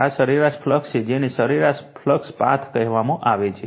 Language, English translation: Gujarati, This is the mean flux your what you call mean your flux path